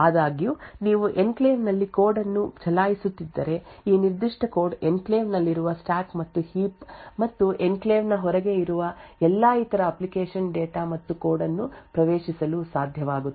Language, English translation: Kannada, However, the vice versa is true now if you are running code within the enclave this particular code will be able to access the stack and heap present in the enclave as well as all the other application data and code present outside the enclave as well